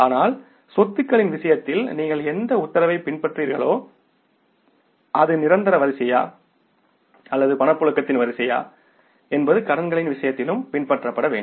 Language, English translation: Tamil, But whatever the order you follow in case of the assets, whether it is the order of permanence or the order of liquidity, same order should be followed in case of the liabilities also